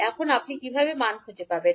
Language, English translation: Bengali, Now, how you will find out the values